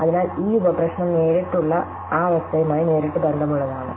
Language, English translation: Malayalam, So, this is the sub problem which is directly part of the state